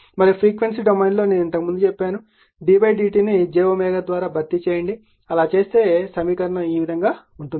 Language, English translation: Telugu, And in the frequency domain, I told you earlier d by d t, you replace by j omega right if you do